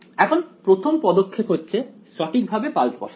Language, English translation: Bengali, So, now, the first step is to put the pulses in right